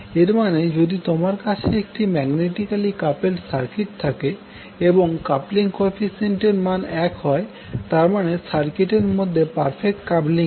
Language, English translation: Bengali, So it means that if you have the magnetically coupled circuit and you have the coupling coefficient equal to one that means the circuit which has perfect coupling will be the ideal transformer